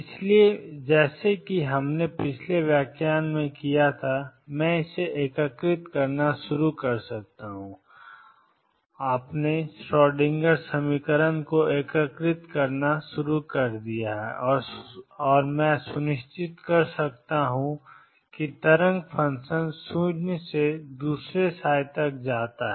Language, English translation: Hindi, So, just like we did in the previous lecture I can start integrating form this psi, integrate my Schrodinger equation and make sure that the wave function goes t 0 to the other psi